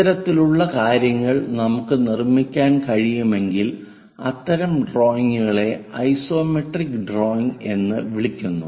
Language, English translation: Malayalam, Such kind of things if we can construct it that kind of drawings are called isometric drawings